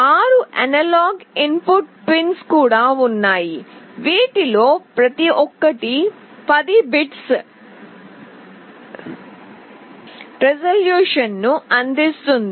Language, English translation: Telugu, There are also 6 analog input pins, each of which provide 10 bits of resolution